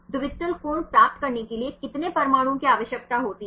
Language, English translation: Hindi, How many atoms are required to get the dihedral angle